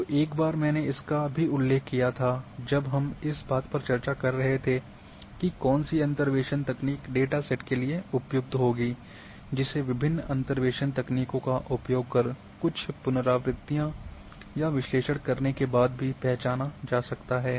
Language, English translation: Hindi, So, once I also discussed this part when we were discussing that which interpolation technique would be suitable for the dataset that can also be identified after doing certain iterations and analysis on your data using different interpolation techniques